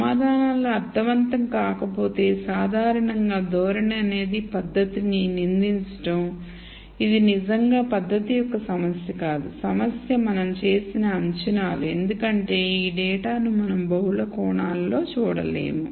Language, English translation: Telugu, If the answers do not make sense, then typically the tendency is to blame the technique it is really not the technique that is a problem, the problem is the assumptions that we have made because we are not able to see this data in multiple dimensions